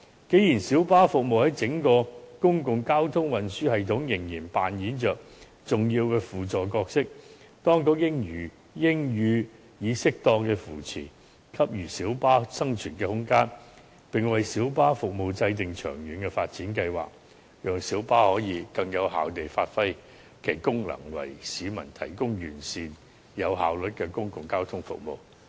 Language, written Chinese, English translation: Cantonese, 既然小巴服務在整個公共交通運輸系統仍然扮演着重要的輔助角色，當局應予以適當扶持，給予小巴生存空間，並為小巴服務制訂長遠發展計劃，讓小巴可以更有效地發揮其功能，為市民提供完善及有效率的公共交通服務。, Since minibus services still play an important supporting role in the whole public transport system the authorities should provide appropriate support and allow minibus room of survival . The authorities should also draw up plans for the long - term development of minibus services so that minibus can perform its functions more effectively and provide the public with comprehensive and efficient public transport services